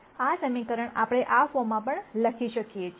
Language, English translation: Gujarati, We can write this equation also in this form